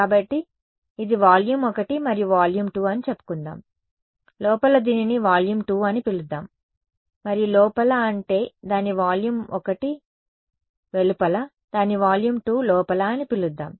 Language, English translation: Telugu, So, let us say this is volume 1 and volume 2 sorry inside let us call it volume 2 and inside, I mean outside its volume 1, inside its volume 2